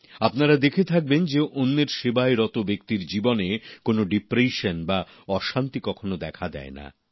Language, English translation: Bengali, You must have observed that a person devoted to the service of others never suffers from any kind of depression or tension